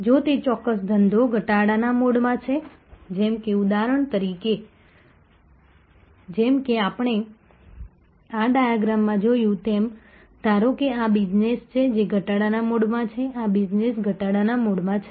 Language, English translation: Gujarati, If that particular business is in the decline mode like for example, as we saw in this diagram suppose this is the business, which is in the decline mode of these are the business is in the decline mode